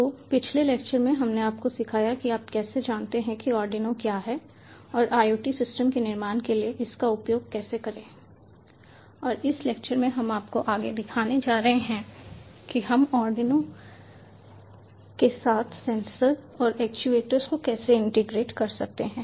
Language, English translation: Hindi, so in a previous lecture we have taught you about ah, how to you know what is arduino and how to use it for building iot systems, and in this lecture we are going to show you further that how we can integrate sensors and actuators with arduino